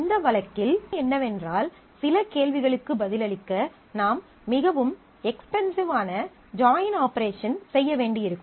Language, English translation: Tamil, In that case, the situation is that to answer some of the queries, I may have to do a very expensive join operation